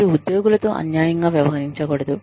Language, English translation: Telugu, You do not treat employees, unfairly